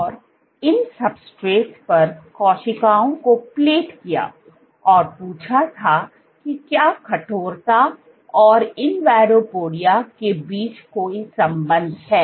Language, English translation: Hindi, And she plated cells on these substrates and asked that is there any correlation between stiffness and invadopodia